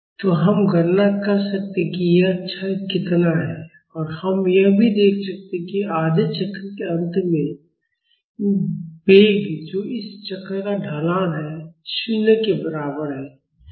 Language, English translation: Hindi, So, we can calculate how much this decay is; and we can also see that at the end of half cycles the velocity that is the slope of this curve is equal to 0